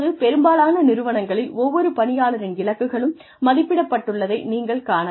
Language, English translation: Tamil, Now, many organizations, you will find that, the goals of every single employee are mapped